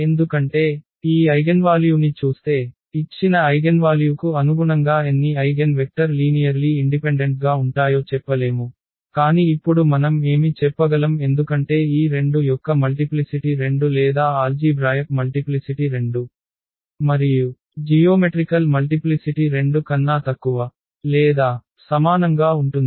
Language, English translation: Telugu, Because, looking at this eigenvalue we cannot just tell how many eigenvectors will be linearly independent corresponding to a given eigenvalue, but what we can tell now because the multiplicity of this 2 was 2 or the algebraic multiplicity was 2 and we know that the geometric multiplicity will be less than or equal to 2